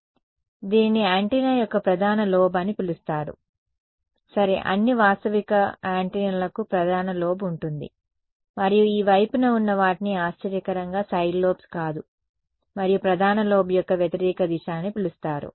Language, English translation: Telugu, So, this guy is called the not surprisingly called the main lobe of the antenna ok, all realistic antennas will have a main lobe and these things on the side they are called not surprisingly side lobes and opposite direction of the main lobe is what is called a back lobe ok